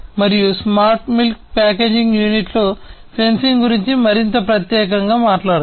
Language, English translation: Telugu, And let us talk about the sensing in a smart milk packaging unit much more specifically